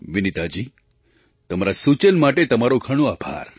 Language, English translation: Gujarati, Thank you very much for your suggestion Vineeta ji